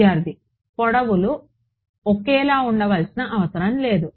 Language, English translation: Telugu, The lengths need not be the same